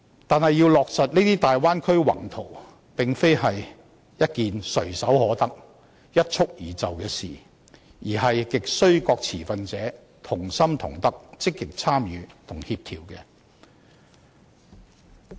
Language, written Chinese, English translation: Cantonese, 但是，要落實這些大灣區宏圖，並非一件唾手可得，一蹴而就的事情，而亟需各持份者同心同德，積極參與和協調。, However this large - scale plan for developing the Bay Area is neither something available at our fingertips nor a mission we can accomplish at one stroke . Rather it hinges greatly on the collective determination active participation and coordination of all stakeholders